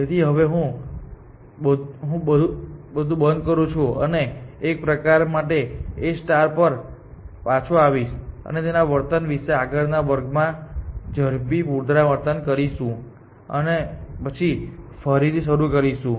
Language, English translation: Gujarati, So, I will stop here, and will sort of come back to this A star and it is behavior will do a quick recap in the next class, and then will start again